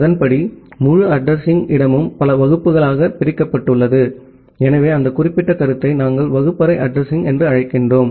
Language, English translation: Tamil, And accordingly, the entire address space is divided into multiple classes, so that particular concept we used to call as classful addressing